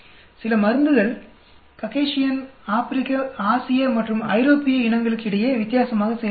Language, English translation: Tamil, Some drugs work differently on Caucasian versus African verses Asian verses European